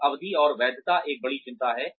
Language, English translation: Hindi, And, the duration and the validity is a big concern